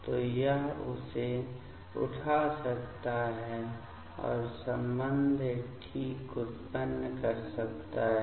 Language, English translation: Hindi, So, it can pick up this one and generate corresponding ok